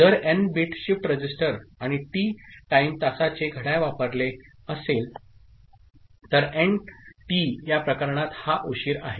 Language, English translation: Marathi, If n bit shift register and clock of T time period is used, then nT is this delay in this case